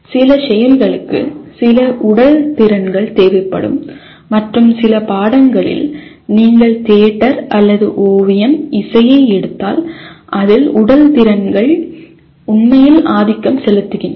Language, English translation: Tamil, Certain activities will require some physical skills and in some subjects if you take theater or painting, music; their physical skills really are dominant